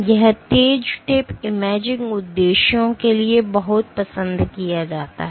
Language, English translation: Hindi, So, this sharp tip is much preferred for imaging purposes